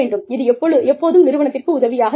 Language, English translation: Tamil, And, it always helps the organization